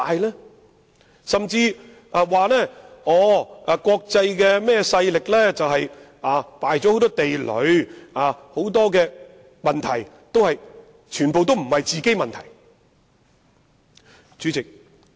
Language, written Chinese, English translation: Cantonese, 有人甚至說，國際勢力已埋下很多地雷，故此很多問題都不是自己製造的。, Some people even said that the international forces had laid a lot of mines and many problems were actually not created by us